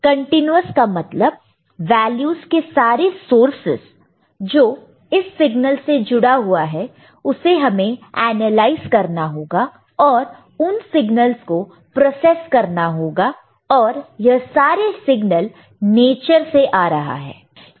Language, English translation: Hindi, Continuous in the sense that the all source of values that can be associated with that particular signal; now we need to analyze and process those signals as well these signals that are coming from nature